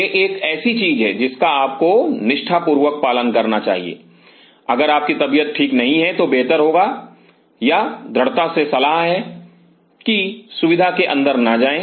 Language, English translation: Hindi, This is something which you should religiously follow, if you are not well if your coughing it is better or rather strongly advise that do not get into the facility